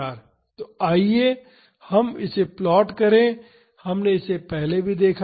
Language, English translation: Hindi, So, let us plot this we have seen this earlier